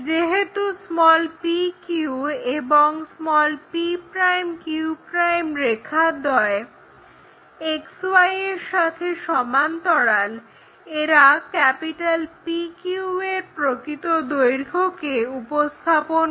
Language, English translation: Bengali, As lines p q and p' q' are parallel to XY, they represent true length side of PQ; here PQ is 60 mm